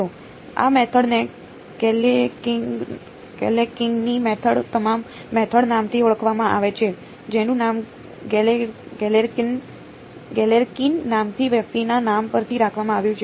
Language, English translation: Gujarati, This method is given is called by the name Galerkin’s method, named after its person by the name Galerkin